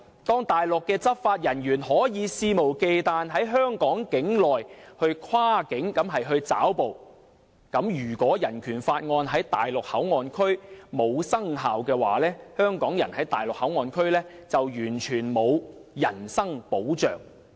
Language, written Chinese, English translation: Cantonese, 當內地執法人員可以肆無忌憚地在香港境內跨境抓捕，如果《人權法案條例》在大陸口岸區無效，香港人在大陸口岸區便完全沒有人身保障。, Since Mainland law enforcement officers can cross the boundary and seize someone within Hong Kongs territory with impunity if BORO cannot remain in force in MPA the personal safety of Hong Kong people in MPA will be devoid of protection